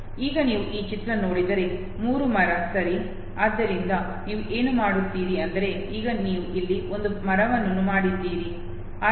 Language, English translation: Kannada, Now you look at this image, 3 tree okay, so all you do is that you have now made a tree here okay, so this is 3